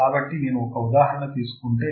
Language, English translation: Telugu, So, if I take an example